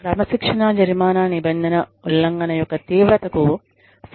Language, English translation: Telugu, Was the disciplinary penalty, reasonably related to the seriousness of the rule violation